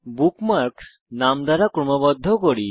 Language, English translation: Bengali, The bookmarks are sorted by name